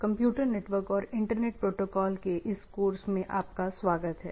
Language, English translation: Hindi, So, welcome to this course on Computer Networks and Internet Protocols